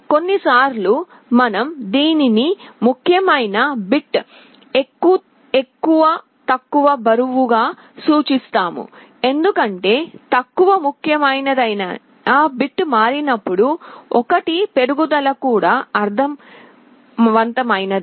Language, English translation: Telugu, Sometimes we refer to this as the weight of the least significant bit because, when the least significant bit changes that also means an increase of 1